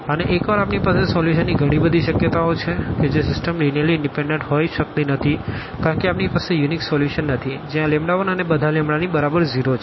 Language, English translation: Gujarati, And once we have infinitely many possibilities of the solution that system cannot be linearly independent because we do not have on the unique solution which is lambda 1 all these lambdas to be equal to 0